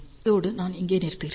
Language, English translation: Tamil, With this ah I will stop here